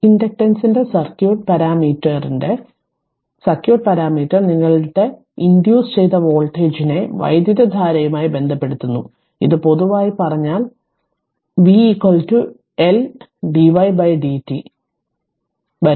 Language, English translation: Malayalam, The circuit parameter of the circuit parameter of inductance your relates the induced voltage to the current, this you know in general you know v is equal to L into dy by dt will come to that right